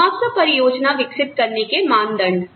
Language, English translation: Hindi, Criteria for developing, a compensation plan